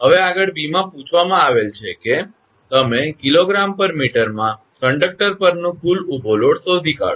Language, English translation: Gujarati, Now next in B it is ask that you find out the total vertical load on conductor in kg per meter